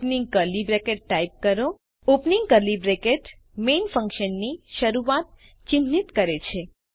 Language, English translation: Gujarati, Type opening curly bracket { The opening curly bracket marks the beginning of the function main